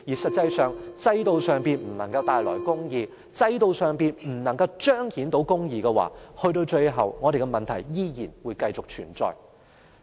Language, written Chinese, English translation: Cantonese, 實際上，如果制度上不能帶來公義，制度上不能夠彰顯公義的話，直至最終，香港的問題依然會繼續存在。, Hong Kong people do not care about the petty profits or the favours that they can be benefited from the policies . If the system cannot bring justice or show justice at the end the problems of Hong Kong will still remain